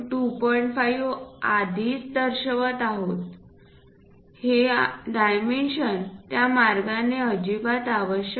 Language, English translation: Marathi, 5 already so, this dimension is not at all required in that way